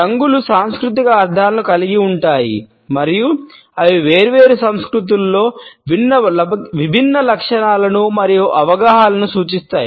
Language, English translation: Telugu, Colors also have cultural meanings and they represent different traits and perceptions in different cultures